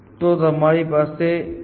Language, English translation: Gujarati, So, there is some